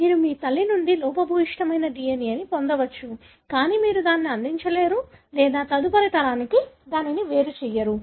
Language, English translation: Telugu, You may receive a defective DNA from your mother, but you will not contribute that or segregate that to the next generation